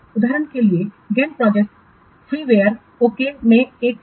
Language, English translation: Hindi, For example, Gant project is one of the free wire